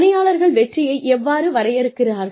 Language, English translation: Tamil, How do employees, define success